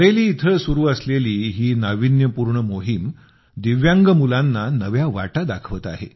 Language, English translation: Marathi, This unique effort in Bareilly is showing a new path to the Divyang children